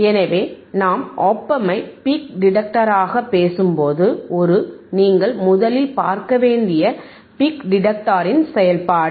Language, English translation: Tamil, So, when we talk about op amp ias a peak detector, the first thing that you have to see is the function of the peak detector